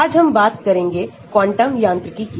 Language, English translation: Hindi, today we are going to talk about quantum mechanics